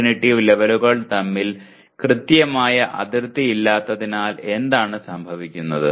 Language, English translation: Malayalam, And what happens as there is no sharp demarcation between cognitive levels